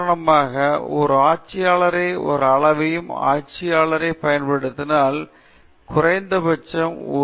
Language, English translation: Tamil, So, for example, if you are using a ruler to make a measurement and in the ruler the least count is 1 millimeter